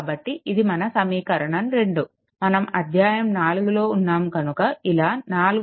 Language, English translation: Telugu, So, this is equation 2 right, it chapter 4